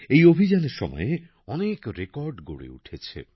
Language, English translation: Bengali, Many records were also made during this campaign